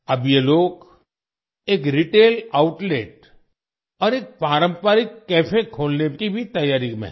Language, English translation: Hindi, These people are now also preparing to open a retail outlet and a traditional cafe